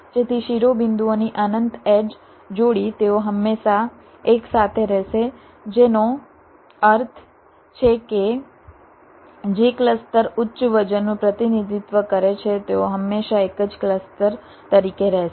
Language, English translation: Gujarati, so the infinite edge pair of vertices, they will always remain together, which means those clusters which are representing higher voltage, they will always remain as single clusters